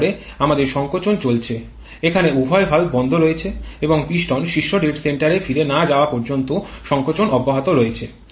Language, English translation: Bengali, Then we have the compression going on here both the valves are closed and the compression continues till the piston goes back to the top dead center